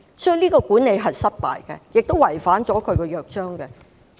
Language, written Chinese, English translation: Cantonese, 這樣的管理是失敗的，亦違反了《約章》。, Management in this way is a failure and has also violated the Charter